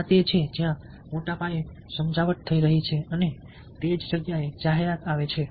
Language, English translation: Gujarati, so this is where persuasion is taking place in a massive scale and that is where advertising comes in